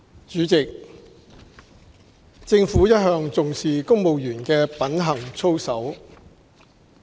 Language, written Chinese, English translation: Cantonese, 主席，政府一向重視公務員的品行操守。, President the Government attaches great importance to the conduct of civil servants